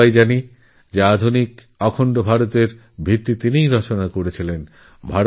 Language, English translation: Bengali, All of us know that he was the one who laid the foundation stone of modern, unified India